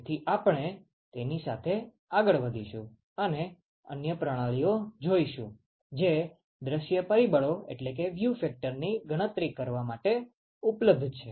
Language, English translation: Gujarati, So, we are going to continue forward with that and look at other methods, which are available to evaluate view factors